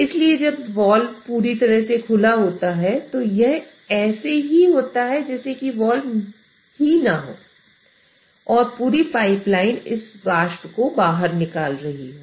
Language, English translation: Hindi, So even though, so when the wall is completely open, it is as good as that there is no wall and the entire pipeline is taking this vapor out